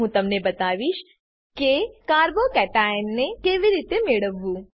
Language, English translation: Gujarati, I will show how to obtain a Carbo cation